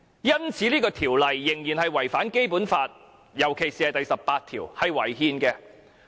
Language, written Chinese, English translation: Cantonese, 因此，這項《條例草案》顯然違反了《基本法》，尤其第十八條。, For this reason the Bill has obviously breached the Basic Law in particular Article 18